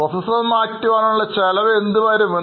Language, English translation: Malayalam, Do you know the cost of the replacing a processor